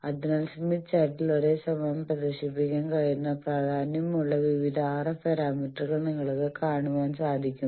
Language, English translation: Malayalam, So, you see various RF parameters of importance they can be simultaneously displayed in the smith chart